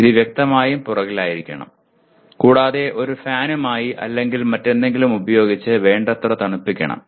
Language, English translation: Malayalam, It should obviously be at the back and adequately cooled with a fan or otherwise